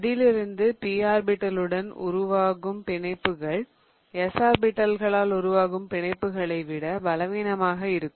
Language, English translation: Tamil, Out of that also the bonds formed with the P orbitals are going to be weaker than the bonds formed with the orbitals that have S character in them